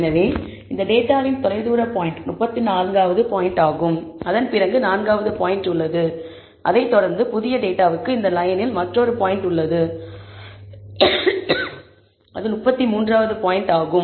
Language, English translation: Tamil, So, the farthest point in this data is the 34th point and after that I have the 4th point and followed by that, there is also one point on the line, which is the 33rd point, for this new data